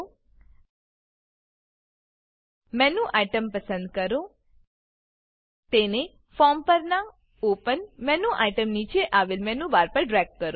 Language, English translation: Gujarati, Select Menu Item Drag it to the Menu Bar below the Open menu item on the form